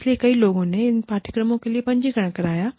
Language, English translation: Hindi, So, many people, have registered, for these courses